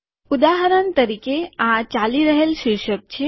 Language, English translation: Gujarati, For example, this is the running title